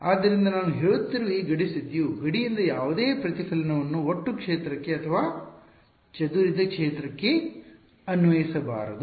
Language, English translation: Kannada, So, this boundary condition that I am saying that, no reflection from the boundary it should be applied to the total field or the scattered field